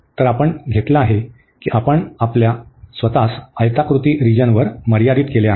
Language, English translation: Marathi, So, we have taken we have restricted our self to the rectangular region